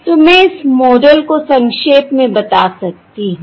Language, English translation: Hindi, alright, So I can summarize this model